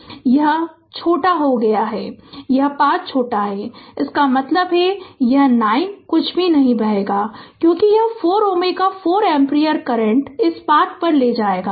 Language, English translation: Hindi, Now, this is shorted this path is shorted right, that means this 9 ohm nothing will flow, because this 4 ohm ah 4 ampere current will take this path will take this path